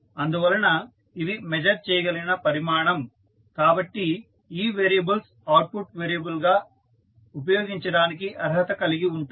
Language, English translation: Telugu, So, these are measurable quantity so that is way these variables can be qualified as an output variable